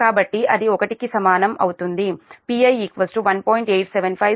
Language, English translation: Telugu, so it is p i is equal to two